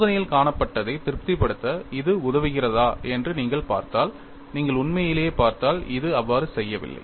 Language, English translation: Tamil, And if you look at whether it has helped in satisfying what is seen in the experiment, if you really look at, it has not done so